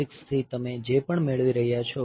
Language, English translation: Gujarati, 6 whatever you are getting